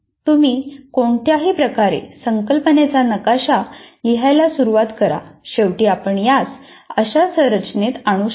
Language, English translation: Marathi, In whatever way when you start writing the concept map, in the end you can clean it up to bring it into some kind of a structure like this